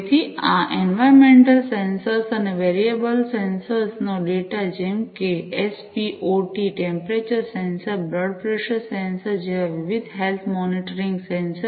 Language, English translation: Gujarati, So, this data from these environmental sensors and these variable sensors like, you know, different health monitoring sensors like spo2, you know, temperature sensor blood pressure sensor and so on